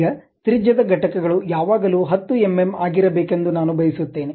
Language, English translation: Kannada, Now, I would like to have something like 10 radius units always be mm